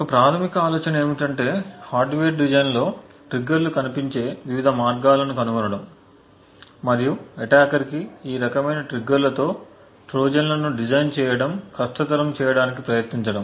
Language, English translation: Telugu, A base idea is to enumerate the different ways a triggers can appear in a hardware design and try to make it difficult for an attacker to actually design Trojans with these variety of triggers